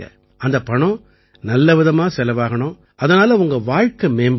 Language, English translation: Tamil, Use that money well so that your life benefits